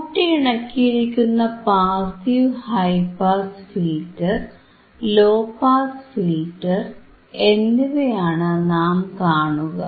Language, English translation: Malayalam, like these are passive, passive high pass filter and low pass filter